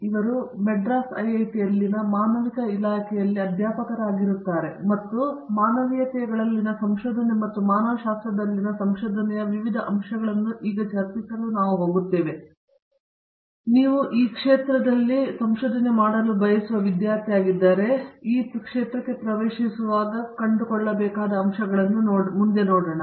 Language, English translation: Kannada, He is faculty in the Department of Humanities here at IIT, Madras and we are going to discuss research in humanities and different aspects of research in humanities, so that if you are aspiring student in this field, it will give you some sense of what to look forward too, when you get into this field